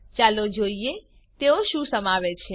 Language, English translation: Gujarati, Let us see what they contain